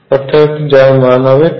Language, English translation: Bengali, So, this is going to be 2 n